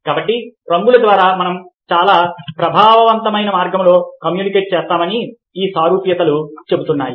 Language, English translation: Telugu, so these commonalities tell us that through colours we communicate in a very effective way and we need to be aware of this